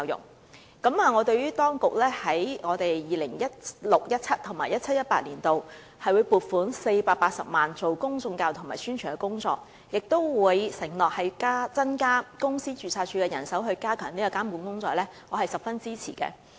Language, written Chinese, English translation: Cantonese, 當局表示會在 2016-2017 年度和 2017-2018 年度撥款480萬元進行公眾教育及宣傳，亦承諾會增加公司註冊處的人手以加強監管，我對此十分支持。, According to the authorities 4.8 million will be allocated in 2016 - 2017 and also 2017 - 2018 for the purpose of conducting public education and publicity programmes . The authorities have also undertaken to increase the manpower of the Companies Registry as a means of enhancing regulation . All this commands my support